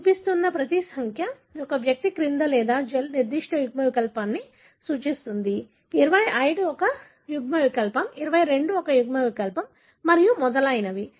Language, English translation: Telugu, So, each of the number that you are showing, either below an individual or in the gel represent the particular allele; 25 is an allele, 22 is an allele and so on, so forth